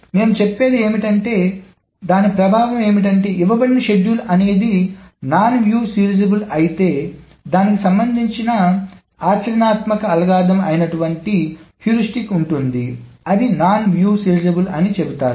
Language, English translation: Telugu, So what is the effect of what I'm trying to say is that given a schedule, if it is non view serializable, there is a practical algorithm, some heuristics will actually say it is non view serializable